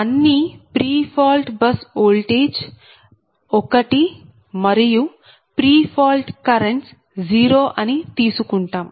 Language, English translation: Telugu, so assume pre fault bus voltage all are one and pre fault currents are zero, right